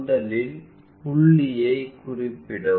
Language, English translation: Tamil, Let us first fix the point